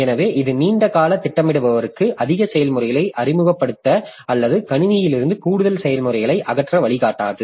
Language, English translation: Tamil, So, this is not guiding your this long term scheduler to introduce more processes or remove more processes from the system